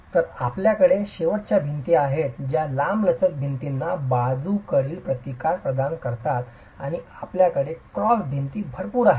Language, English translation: Marathi, So, you have the end walls which provide lateral resistance to the long walls and you have enough number of cross walls